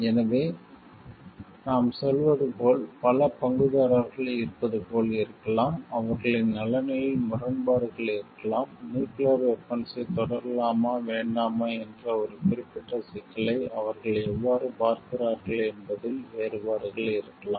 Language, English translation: Tamil, So, there could be as we are telling like as there are multiple stakeholders, there could be conflict in their interest, there could be differences in how they are looking at a particular problem of whether to continue having nuclear weapon or not